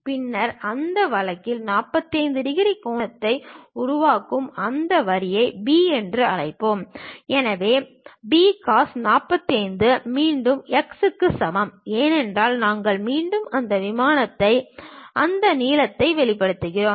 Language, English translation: Tamil, Then in that case, let us call that line B making an angle of 45 degrees; so, B cos 45 is equal to again x; because we are again projecting that length onto this plane